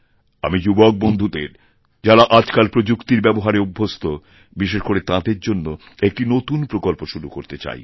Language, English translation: Bengali, I specially want to suggest a scheme to my young friends who are currently technology savvy